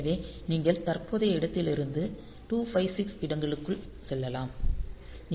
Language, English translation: Tamil, So, you can jump by within 256 locations from the current location